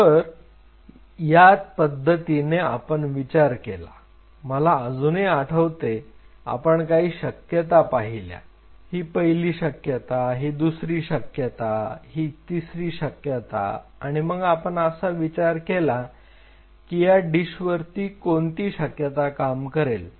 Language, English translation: Marathi, So, this is the way we thought it out I still remember that what are the possibilities this is one possibility, this is the second possibility, this is the third possibility and we think around it on a dish that which one is going to work